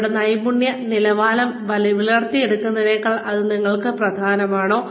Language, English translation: Malayalam, Is it more important for you than, building your skill levels